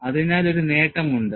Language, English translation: Malayalam, So, there is an advantage